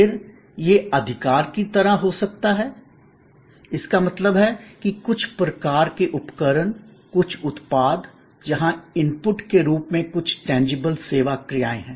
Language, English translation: Hindi, Then, it could be like possession; that mean some kind device, some product, where there are some tangible service actions as input